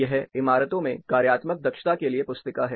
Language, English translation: Hindi, This is hand book of functional efficiency in buildings